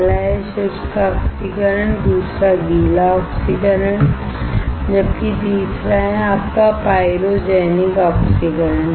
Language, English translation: Hindi, First is dry oxidation, second wet oxidation, while the third one is your pyrogenic oxidation